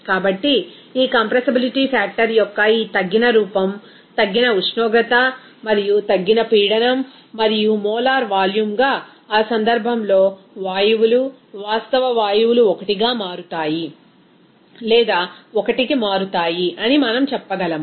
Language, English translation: Telugu, So, this is why we can say that this reduced form of this compressibility factor will be a function of reduced temperature and reduced pressure and as a molar volume of in that case that the gases, real gases will become converting into or tends to 1 for the compressibility factor if it is going to 1 there